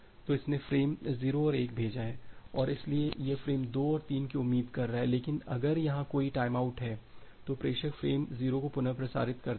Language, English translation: Hindi, So, it has sent frame 0 and 1 and so, it is expecting frame 2 and 3, but if there is a time out here the sender retransmits frame 0